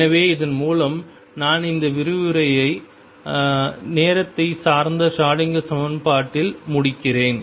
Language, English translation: Tamil, So, with this I conclude this lecture on time dependent Schroedinger equation